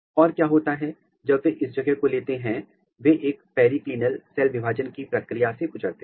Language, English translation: Hindi, And, what happens when they take this place they undergo the process of a periclinal cell division